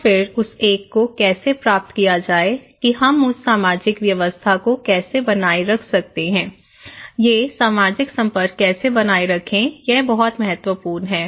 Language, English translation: Hindi, So, then how to achieve that one, that how we can maintain that social order, these social interactions okay, that is very important